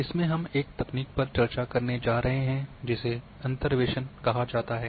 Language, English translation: Hindi, In this particular one we are going to discuss a technique which is called Interpolation